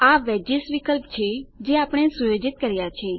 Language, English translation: Gujarati, This is the Wedges option that we set